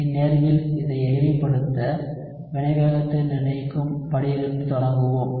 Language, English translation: Tamil, So in this case, to simplify it, we will just start from the rate determining step